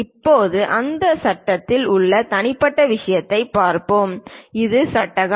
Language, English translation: Tamil, Now, let us look at the individual thing in that frame this is the frame